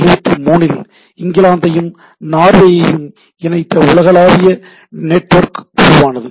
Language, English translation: Tamil, Then in 73 global networking became some sort of reality connecting in England and Norway